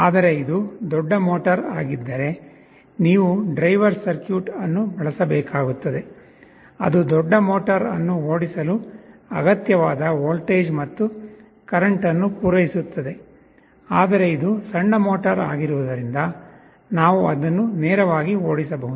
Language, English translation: Kannada, But, if it is a larger motor, of course you need to use a driver circuit, which can supply the required voltage and current to drive the larger motor, but this being a small motor we can drive it directly